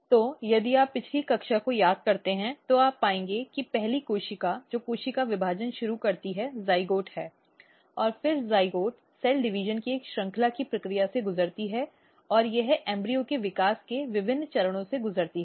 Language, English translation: Hindi, So, if you recall previous class you will find that the first cell which start cell division is zygote, and then zygote undergo the process of a series of cell division and it undergo different stages of embryo development